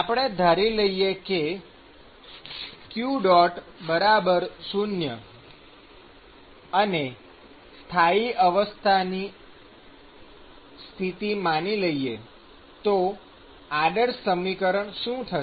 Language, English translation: Gujarati, So, supposing we assume that q dot is 0 and steady state condition what is the model equation